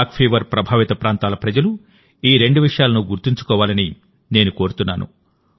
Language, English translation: Telugu, I also urge the people of 'Kala Azar' affected areas to keep two things in mind